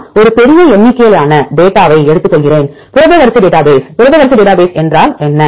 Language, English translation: Tamil, I take a large number of data in the protein sequence database, what is the protein sequence database